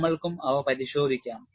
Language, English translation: Malayalam, We will also have a look at them